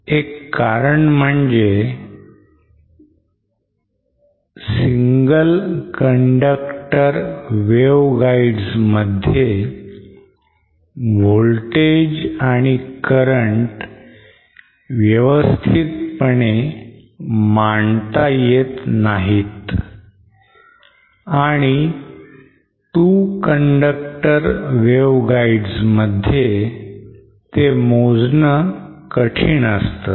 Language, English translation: Marathi, One reason is because in single conductor waveguides you cannot have a proper definition of voltages and currents and in two conductor wave guides they are very difficult to measure